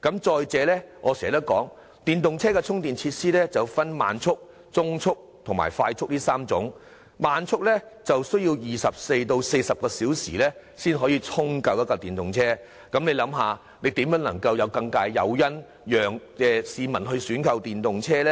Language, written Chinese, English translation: Cantonese, 再者，電動車充電設施分為慢速、中速和快速充電3種，慢速充電器需時24小時至40小時才能為一輛電動車充電完畢，試問這又如何能提供更大誘因，吸引市民選購電動車呢？, Furthermore the speed of charging facilities for EVs is classified into three categories namely standard medium and fast chargers and it takes 24 to 40 hours to fully recharge an electric car with a standard charger . How can this provide a greater incentive to attract more people to go for electric cars?